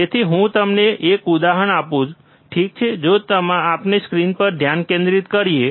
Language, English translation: Gujarati, So, for that let me give you an example, all right so, if we focus on screen